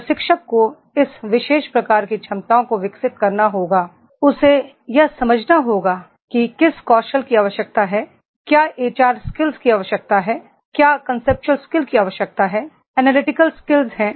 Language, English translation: Hindi, Trainer has to develop this particular type of the abilities, he has to understand whether it is required the job skills, whether it is required the HR skills, whether it is required the conceptual skills, analytical skills are there